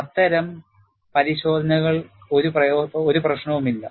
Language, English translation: Malayalam, Those kind of tests, there is no problem